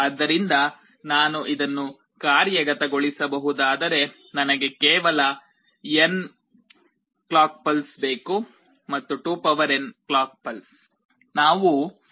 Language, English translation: Kannada, So, if I can implement this I need only n clock pulses and not 2n clock pulses